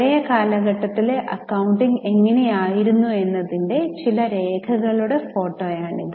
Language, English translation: Malayalam, This is a photograph of some records of how the accounting was made in the old period